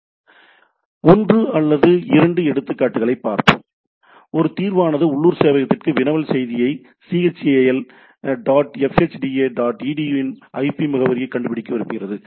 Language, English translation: Tamil, So, we let us see one or two examples, a resolver wants to wants a query message to a local server to find the IP address of the chal dot fhda dot edu